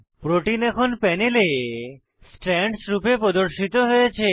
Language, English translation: Bengali, The protein is now displayed as Strands on the panel